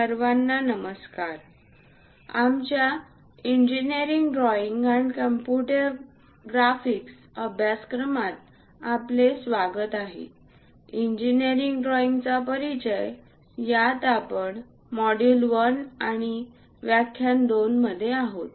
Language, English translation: Marathi, Hello everyone, welcome to our Engineering Drawing and Computer Graphics course; we are in module 1 and lecture 2 in Introduction to Engineering Drawing